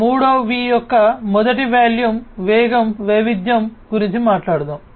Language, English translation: Telugu, So, let us talk about the 3 V’s first volume, so volume, velocity, variety